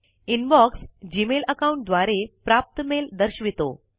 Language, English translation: Marathi, The Inbox shows mail received from the Gmail account